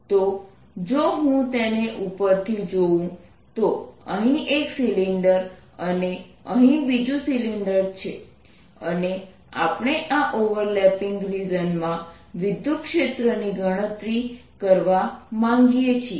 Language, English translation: Gujarati, if i look at it from the top, here is one cylinder and here is the other cylinder, and it is in this overlapping region that we wish to calculate the electric field